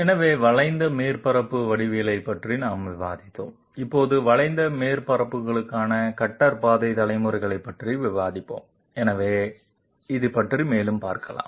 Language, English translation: Tamil, So we have discussed curved surface geometry, now we will discuss cuter path generation for curved surfaces, so let us move right into the subject